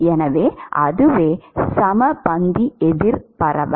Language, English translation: Tamil, So, that is the equimolar counter diffusion